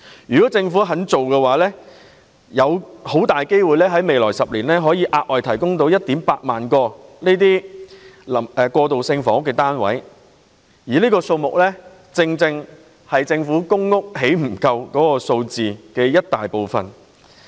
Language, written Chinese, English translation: Cantonese, 如果政府願意這樣做，未來10年很大機會可以額外提供 18,000 個過渡性房屋單位，而這正是政府興建公屋不足的數字的一大部分。, If the Government is willing to do so it is highly possible that an additional 18 000 transitional housing units could be made available in the next 10 years which is exactly a large percentage of the shortfall in PRH units produced by the Government